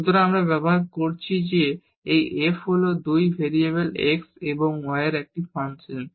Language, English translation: Bengali, So, we are making use of that this f is a function of 2 variables x and y